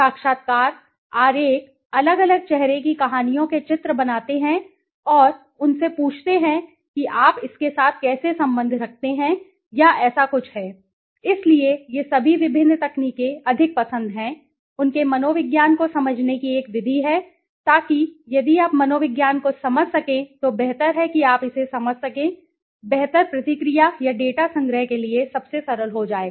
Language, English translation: Hindi, Interviews, diagrams right face making different faces stories pictures and asking them to how do you relate with it or something like this so all these different techniques are more in to you know like is a method of understanding his psychology okay psychology so if you can understand the psychology it is better you would get in to better response or the you know data collection okay data collection would be most simpler okay